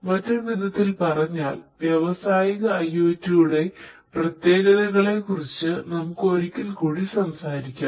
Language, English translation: Malayalam, In other words, in a nutshell; let us talk about the specificities of industrial IoT once again